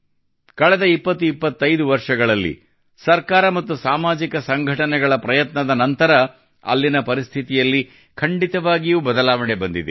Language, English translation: Kannada, During the last 2025 years, after the efforts of the government and social organizations, the situation there has definitely changed